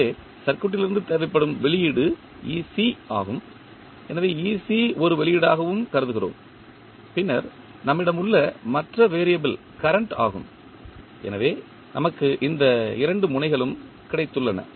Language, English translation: Tamil, So, the output which is required from the particular circuit is ec, so ec we consider as an output also and then the other variable which we have is current i, so, we have got these two nodes